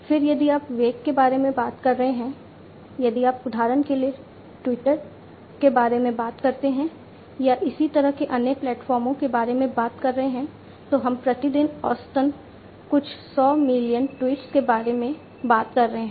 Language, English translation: Hindi, Then if you are talking about velocity, if you talk about twitter for example, or similar kind of other platforms we are talking about some 100s of millions of tweets, on average per day